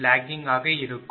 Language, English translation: Tamil, 5079 so, it is a 0